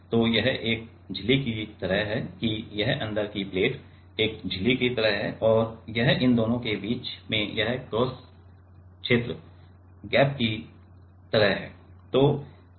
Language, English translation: Hindi, So, this is like a membrane that this inside plate is like a membrane and this is in between these two this cross region is like gap ok